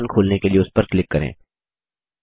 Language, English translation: Hindi, Click on it to open the application